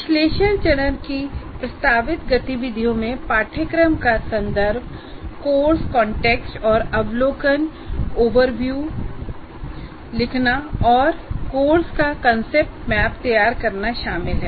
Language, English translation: Hindi, The proposed activities of the analysis phase include writing the course context and overview and preparing the concept map of the course